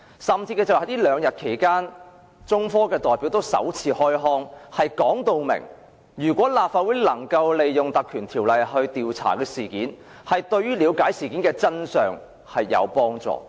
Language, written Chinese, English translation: Cantonese, 這兩天，中科興業有限公司代表首次開腔，表明如果立法會能夠引用《條例》成立專責委員會調查事件，對於了解事件的真相有幫助。, Two days ago the representative of China Technology Corporation Limited said for the first time that if the Legislative Council invoked the Ordinance to set up a select committee to conduct an investigation it would be conducive to understanding the truth of the incident